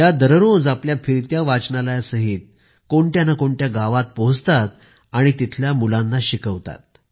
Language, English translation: Marathi, Every day she goes to some village or the other with her mobile library and teaches children there